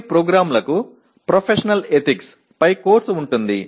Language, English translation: Telugu, Some programs have a course on Professional Ethics